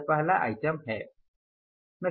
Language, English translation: Hindi, This is the first item